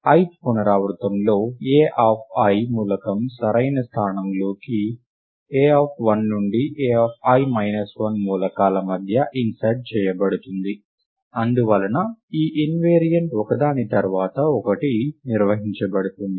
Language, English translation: Telugu, Further in the ith iteration, the element a of i is inserted into the correct location, right among the elements a of 1 to a of i minus 1, and thus this invariant is maintained one iteration after another